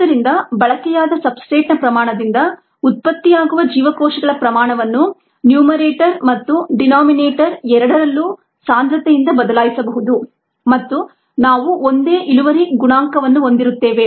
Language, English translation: Kannada, so the amount of cells produced by the amount of substrate consumed can be replaced, on both the numerator and the denominator, by the concentrations and we would have the same yield coefficient